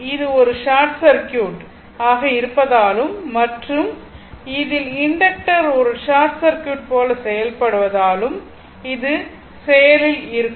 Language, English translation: Tamil, So, this will be in active because it is a short circuit right and in that case you have to your inductor will behave like a short circuit ah your